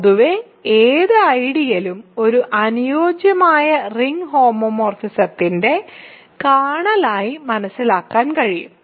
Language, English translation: Malayalam, So, in general any ideal can be realized as the kernel of a ring suitable ring homomorphism